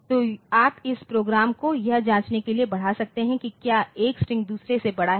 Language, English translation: Hindi, So, you can extend this program for to check whether the strings are whether the strings one string is greater than the other and all that